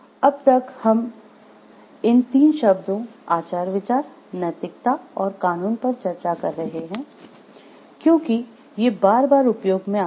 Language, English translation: Hindi, So, we have been discussing these 3 terms, ethics, morals and law because these comes hand in hand